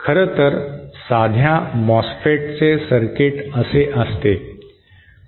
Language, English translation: Marathi, In fact, a simple MOSFET has a circuit like this